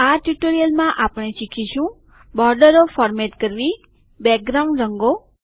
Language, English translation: Gujarati, In this tutorial we will learn about:Formatting Borders, background colors